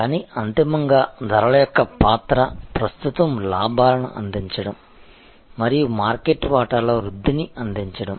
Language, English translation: Telugu, But, ultimately the role of pricing is to deliver current profit, deliver growth in market share